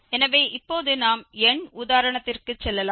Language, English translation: Tamil, So, now we can go to the numerical example